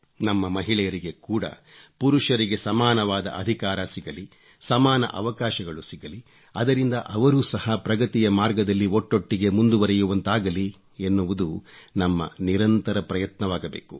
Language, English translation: Kannada, It should be our constant endeavor that our women also get equal rights and equal opportunities just like men get so that they can proceed simultaneously on the path of progress